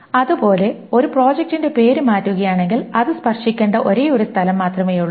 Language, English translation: Malayalam, Similarly, if the name of a project is changed, there is only one place that it needs to be touched